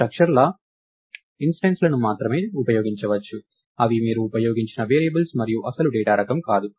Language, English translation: Telugu, So, you can only use instances of the structures, namely the variables that you have used and not the original data type itself